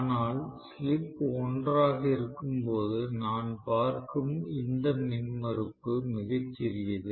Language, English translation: Tamil, But when the slip is 1 this impedance, whatever impedance I am looking at is very small